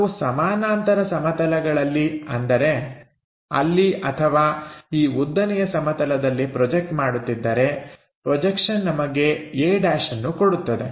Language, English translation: Kannada, So, if we are projecting on the parallel planes either here or on this vertical plane, projection that gives us a’